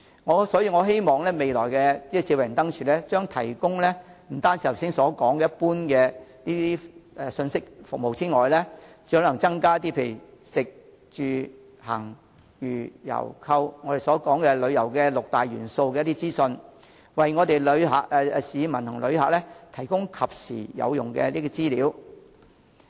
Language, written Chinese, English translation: Cantonese, 我希望未來的智慧燈柱除提供剛才所說的一般信息服務，更可提供當區食、住、行、娛、遊、購旅遊六大元素方面的資訊，為市民和旅客提供及時有用的資料。, I hope that future smart lampposts will apart from providing general information services mentioned just now further provide information concerning the six major elements of tourism namely dining accommodation transport recreation sight - seeing and shopping in local districts so as to provide the public and visitors with timely and useful information